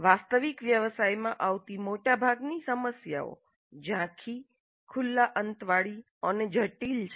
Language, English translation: Gujarati, Most of the problems faced in the actual profession are fuzzy, open ended and complex